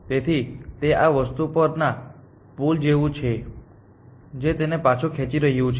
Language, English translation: Gujarati, So, it is like a pull on this thing which is pulling it back essentially